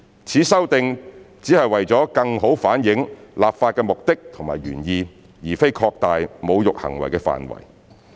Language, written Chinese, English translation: Cantonese, 此修訂只是為了更好反映立法目的和原意，而非擴大侮辱行為的範圍。, This amendment only seeks to better reflect the legislative purpose and intent but not to expand the scope of desecrating acts